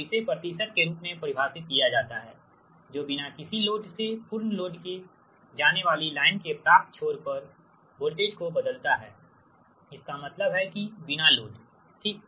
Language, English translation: Hindi, so it is defined as the percentage changes voltage at the receiving end of the line in going from no load to full load